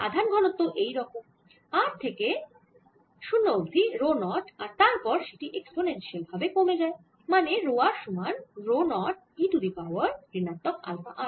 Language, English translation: Bengali, so this charge density looks like this: it is rho zero at r, equal to zero, and then goes exponentially down, which is rho r equals rho naught e raise to minus alpha r